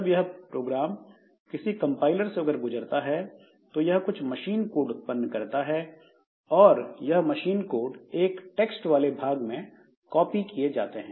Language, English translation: Hindi, So, this program when it passes through a compiler, so it will generate some machine code and that machine code will be loaded, will be copied into this text region